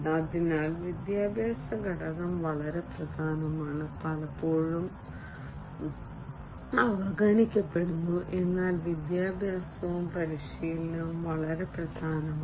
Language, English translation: Malayalam, So, education component is very important and is often neglected, but education and training is very important